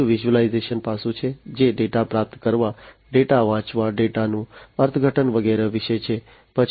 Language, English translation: Gujarati, Second is the visualization aspect, which is about receiving the data, reading the data, interpreting the data and so on